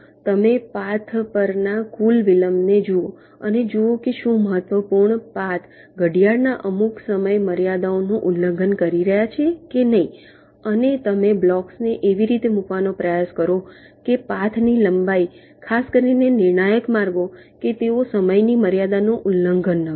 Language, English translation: Gujarati, you look at the total delays along the paths and see whether the critical paths are violating some clock timing constraints or not and you try to place the blocks in such a manner that the path lengths, particularly the critical paths